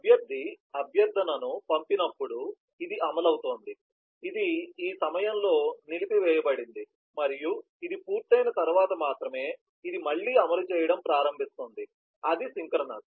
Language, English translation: Telugu, when the requestor has sent the request, then this is executing, this is on hold at this point and only when this has completed, this will start executing again, that is synchronous